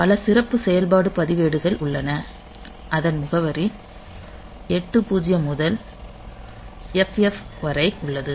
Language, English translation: Tamil, So, there are many special functions registers ranging whose address is 8 0 to FFh